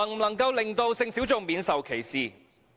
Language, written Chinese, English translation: Cantonese, 能否令性小眾免受歧視？, Can it free sexual minorities from discrimination?